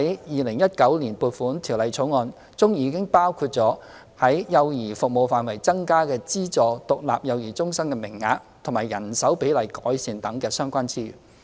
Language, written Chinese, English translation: Cantonese, 《2019年撥款條例草案》已包括在幼兒服務範疇增加資助獨立幼兒中心名額及改善人手比例等的相關資源。, Under the Appropriation Bill 2019 relevant resource has been allocated for child care services including the provision of an additional service quota for Aided Standalone Child Care Centres and improvement to the manning ratio